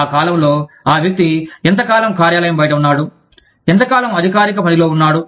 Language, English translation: Telugu, How much of that period, that the person spent out of the office, was on official work